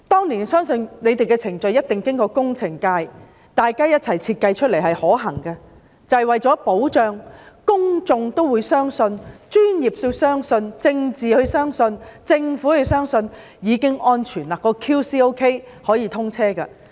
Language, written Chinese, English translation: Cantonese, 我相信這些程序一定是工程界共同設計而成，大家均認為可行，為了保障安全，以及讓公眾、專業人士、政界人士和政府都相信是安全的，已經做好 QC， 才可以通車。, I believe such procedures should have been jointly designed by members of the engineering field who thought that they were feasible . To ensure safety and to make the public professionals politicians and the Government convinced that it is safe quality control properly performed before it can be put into service